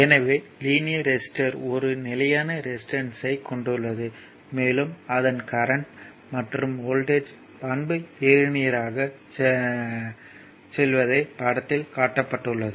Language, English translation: Tamil, So, a linear resistor has a constant resistance, and its current voltage characteristic is linear right as shown in passing through the origin